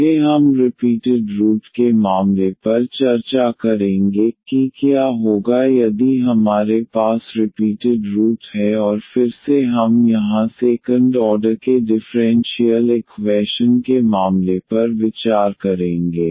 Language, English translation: Hindi, Next we will discuss the case of the repeated roots, that what will happen if we have the repeated root and again we will consider here the case of the second order differential equation